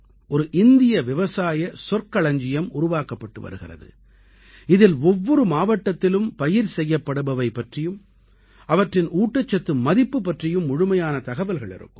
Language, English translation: Tamil, An Agricultural Fund of India is being created, it will have complete information about the crops, that are grown in each district and their related nutritional value